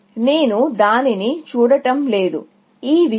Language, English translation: Telugu, I am just not looking at that, this thing